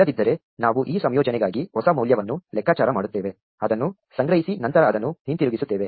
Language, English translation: Kannada, Otherwise, we compute a new value for this combination, store it and then return it